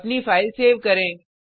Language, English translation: Hindi, Save your file